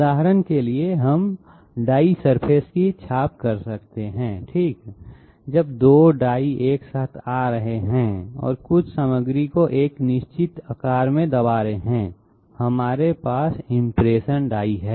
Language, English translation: Hindi, For example, we might be having impression of die surfaces okay, when two dies are coming together and pressing some material to a definite shape, we have impression dies